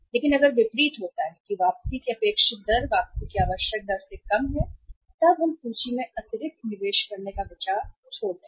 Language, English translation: Hindi, But if the contrary happens that the expected rate of return is less than the required rate of return then we will drop the idea of making additional investment in the inventories